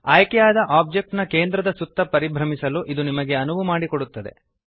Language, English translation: Kannada, This enables you to orbit around the center of the selected object